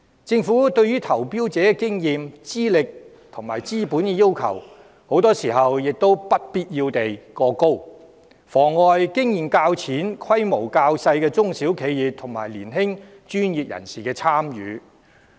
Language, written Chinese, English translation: Cantonese, 政府對投標者的經驗、資歷和資本要求，很多時不必要地過高，妨礙經驗較淺、規模較小的中小企業和年輕專業人士參與。, The Government has very often imposed unnecessarily high requirements on the experience qualifications and capital of tenderers hindering the participation of less experienced small - scale SMEs and young professionals in tender exercises